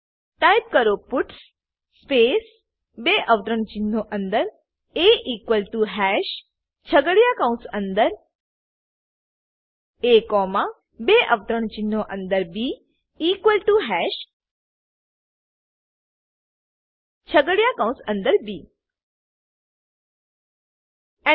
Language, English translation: Gujarati, Type puts space within double quotes a equal to hash within curly brackets a comma within double quotes b equal to hash within curly brackets b Press Enter